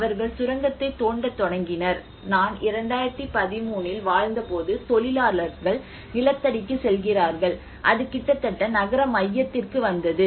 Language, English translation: Tamil, They started digging the mine, and they are going underground when I was living in 2013 it came almost down to the city centre close to the city centre